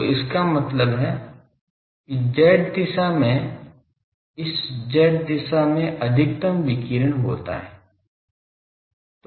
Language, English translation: Hindi, So that means, in the z direction this z direction the maximum radiation takes place